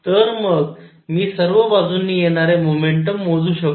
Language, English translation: Marathi, So, I can calculate the momentum coming from all sides